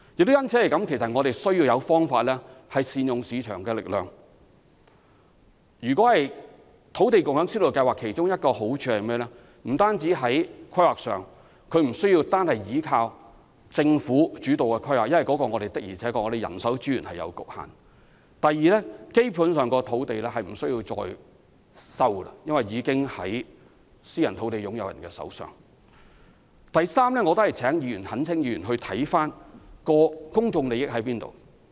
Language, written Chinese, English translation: Cantonese, 正因為如此，我們需要有方法善用市場力量，土地共享先導計劃其中一個好處是不需單單倚靠政府主導的規劃，因為我們的人手資源確實有限；第二，政府基本上不用收地，因為私人土地擁有人手上已有土地；第三，我懇請議員研究一下何謂公眾利益。, This lengthy process however prompts us to make good use of the market forces . One of the advantages of the Land Sharing Pilot Scheme is that we can stop relying solely on the government - led planning which is limited by our constraints on manpower and resources; secondly this Scheme basically does not require the Government to resume any land as private land owners have land reserves in hand; thirdly I implore Members to think through the meaning of public interest